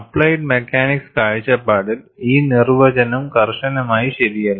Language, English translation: Malayalam, The definition is not strictly correct from applied mechanics point of view